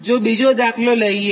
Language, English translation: Gujarati, this is example two